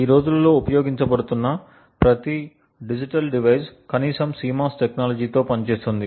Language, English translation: Telugu, Now every digital device that is being used today works on CMOS technology atleast